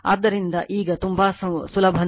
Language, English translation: Kannada, So, now, very easy it is just see